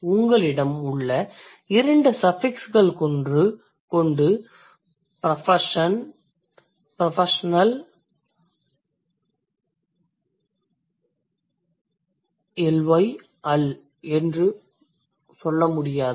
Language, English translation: Tamil, Even the two suffixes that you have, you can't say professionally L